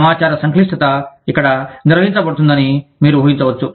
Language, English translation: Telugu, You can imagine, the complexity of information, that is being handled here